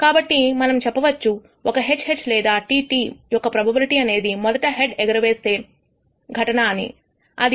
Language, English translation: Telugu, So, we can say the probability of either a HH or a HT which is nothing but the event of a head in the first toss is simply 0